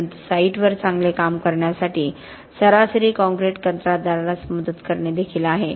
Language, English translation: Marathi, But it is also around just helping the average concrete contractor to do a good job on site